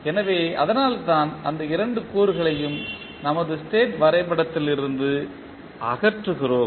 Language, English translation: Tamil, So, that is why we remove these two components from our state diagram